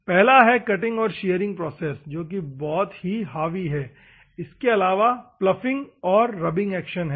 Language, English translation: Hindi, One is the cutting and shearing process, which is a dominating one, then followed by the ploughing and rubbing actions